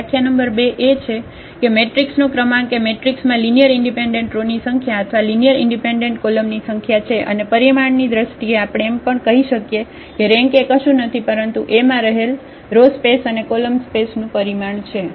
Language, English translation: Gujarati, The definition number 2 the rank of a matrix is nothing but the number of linearly independent rows or number of linearly independent columns of the matrix and we in the terms of the dimension we can also say that the rank is nothing but the dimension of the row space or the dimension of the column space of A